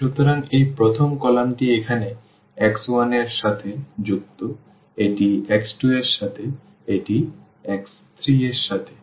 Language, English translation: Bengali, So, this first column is associated with x 1 here, this is with x 2, this is with x 3